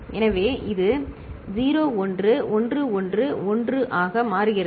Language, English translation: Tamil, So, it becomes 0 1 1 1 1